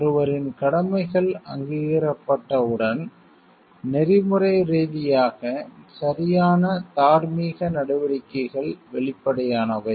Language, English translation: Tamil, Once one’s duties are recognized, the ethically correct moral actions are obvious